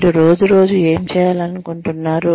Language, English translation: Telugu, What do you want to do, day in and day out